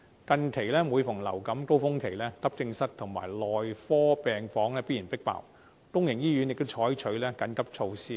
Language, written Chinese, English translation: Cantonese, 近期，每逢流感高峰期，急症室及內科病房必然"迫爆"，公營醫院亦採取緊急措施。, During the peak seasons of influenza recently we have seen both AE departments and medical wards inevitably stretched to their limits and public hospitals adopt emergency measures